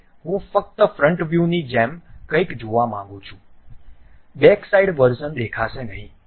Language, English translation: Gujarati, Now, I would like to see something like only front view; the back side version would not be visible